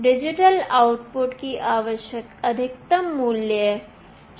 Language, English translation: Hindi, The maximum value the range of the digital output is 0 to 1